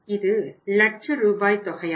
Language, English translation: Tamil, It was also in Rs, lakhs